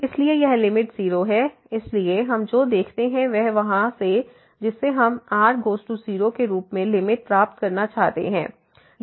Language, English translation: Hindi, So, this limit is 0 so, what we see that this from here which we want to get the limit as goes to 0